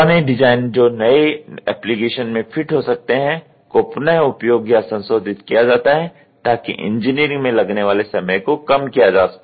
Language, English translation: Hindi, Previous design that fits the new application are reused or modified reducing the engineering time